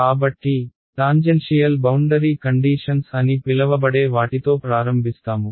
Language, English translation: Telugu, So, we will start with what are called as tangential boundary conditions ok